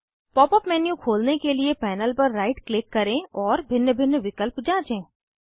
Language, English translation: Hindi, Right click on the panel to open the Pop up menu and check the various options